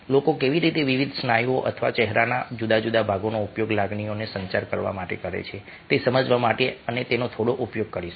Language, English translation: Gujarati, we will use a little bit of that in order to understand, ah, how people used different muscles or different parts of the face to communicative emotions